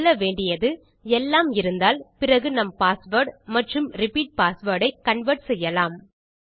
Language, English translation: Tamil, What we should say is if everything exists then we can convert our password and repeat password